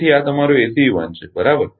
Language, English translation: Gujarati, So, this is your ACE 1, right